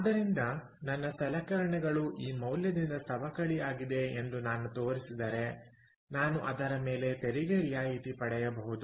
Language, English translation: Kannada, ok, so therefore, if i show that the, my equipment has depreciated by this value, i can claim a tax rebate on that